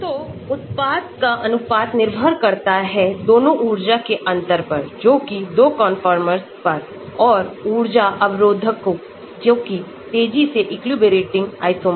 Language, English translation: Hindi, So, the product ratio will depend both on the difference in energy between the 2 conformers and the energy barriers from each of the rapidly equilibrating isomers